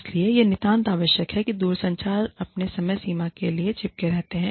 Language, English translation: Hindi, Then, make sure, the telecommuters stick to their deadlines